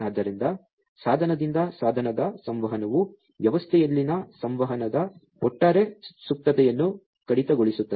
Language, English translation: Kannada, So, device to device communication will cut down on the overall latency of communication in the system